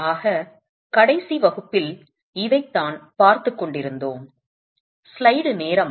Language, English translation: Tamil, So, that's what we were looking at in the last class